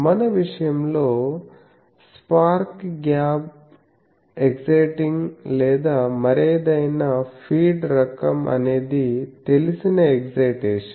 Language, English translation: Telugu, In our case it is the whether we give spark gap excitation or any other feed type of thing so excitation is known